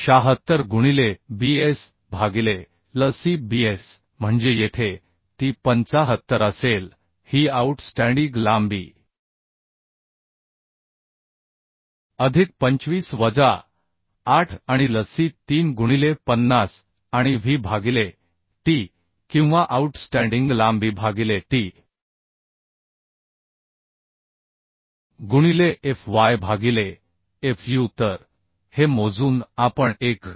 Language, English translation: Marathi, 076 into bs by Lc bs means here it will be 75 this outstanding length plus 25 minus 8 and Lc is 3 into 50 and w by t outstanding length by t into fy by fu So calculating this we can get (1